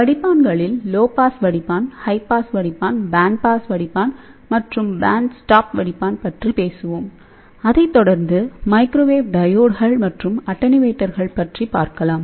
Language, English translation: Tamil, So, in filters, we will talk about low pass filter, high pass filter, band pass filter and band reject filter, then it will be followed by microwave diodes and attenuators